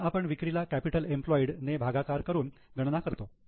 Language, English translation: Marathi, So we are calculating sales upon capital employed